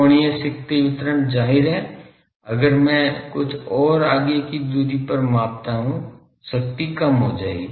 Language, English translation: Hindi, Angular power distribution obviously, if I measure at a further away distance the power will be reduced